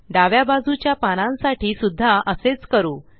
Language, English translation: Marathi, Let us do the same for the leaves on the left